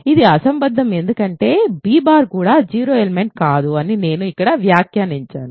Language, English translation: Telugu, This is absurd because b bar also is not 0 element that I have remarked here ok